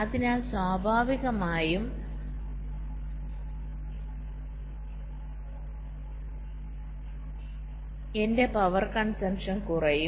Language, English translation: Malayalam, so naturally my power consumption will be reduced